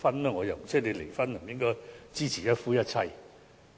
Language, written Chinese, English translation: Cantonese, 離婚的人便不應支持一夫一妻制？, Does it mean that those who are divorced should not support monogamy?